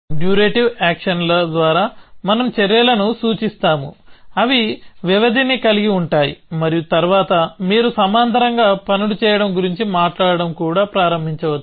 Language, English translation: Telugu, So, by durative actions we mean actions, which have durations and then of course, you can even start talking about doing things in parallel